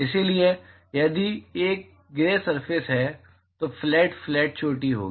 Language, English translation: Hindi, So, if it is a gray surface there will be flat, flat peak